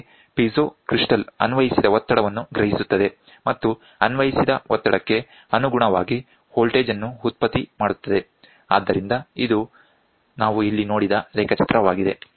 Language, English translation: Kannada, Thus, the piezo crystal senses the applied pressure and generates a voltage proportional to the applied pressure so, this is what is a diagram we saw here